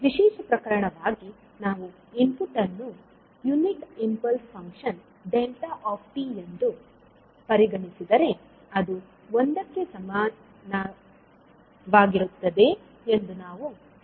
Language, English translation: Kannada, As a special case if we say that xd that is the input is unit impulse function, we will say that access is nothing but equal to one